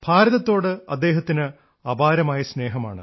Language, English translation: Malayalam, He has deep seated love for India